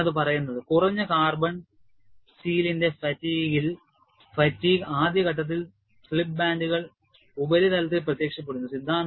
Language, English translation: Malayalam, And this is what it says, 'in fatigue of low carbon steel, slip bands appear on the surface, in the early stages of fatigue'